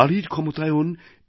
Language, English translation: Bengali, the power of women